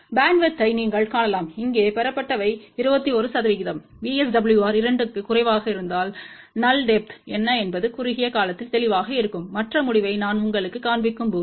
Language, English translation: Tamil, You can see that the bandwidth obtained here is 21 percent, for VSWR less than 2 what is null depth it will be clear in a short while when I show you other result